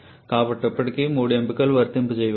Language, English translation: Telugu, But still all three options can be exercised